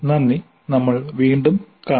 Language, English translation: Malayalam, Thank you and we will meet again